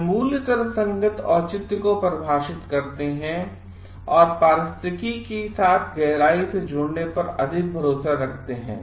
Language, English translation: Hindi, These values defy rational justification and rely more on connecting deeply with ecology